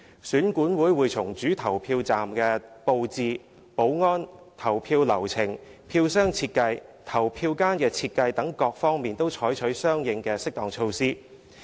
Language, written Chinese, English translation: Cantonese, 選管會會從主投票站的布置、保安、投票流程、票箱設計、投票間設計等各方面採取相應適當措施。, EAC will take appropriate measures in areas such as the arrangement of the main polling station security voting process ballot box design and voting compartment design